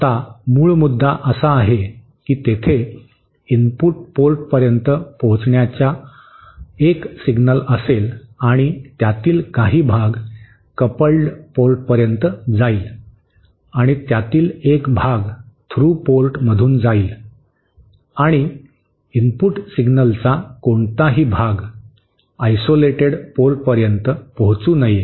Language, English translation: Marathi, Now the basic point is that there will be a signal reaching the input port and the part of that will travel to the coupled port and a part of that will travel to the through port and no part of the input signal should reach the isolated port